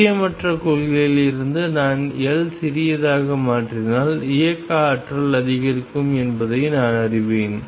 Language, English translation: Tamil, From uncertainty principle I know that if I make L smaller the kinetic energy goes up